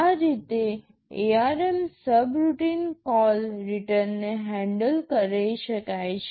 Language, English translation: Gujarati, This is how in ARM subroutine call/return can be handled